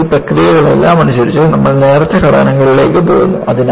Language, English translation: Malayalam, So, by all this processes, you are going in for thinner structures